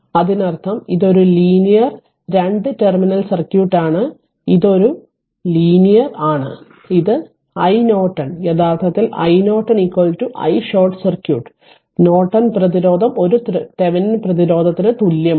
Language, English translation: Malayalam, That means, this is a linear 2 terminal circuit right this is a linear this is your i Norton actually i Norton is equal to i short circuit right and Norton resistance is nothing, but a Thevenin resistance is same right